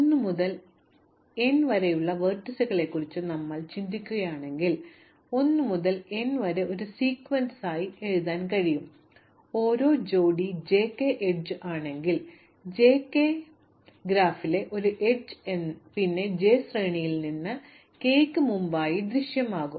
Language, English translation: Malayalam, If you think of the vertices as being 1 to n, you can write out 1 to n as a sequence in such a way that for every pair j, k which is an edge if j, k is an edge in my graph, then j will appear before k in the sequence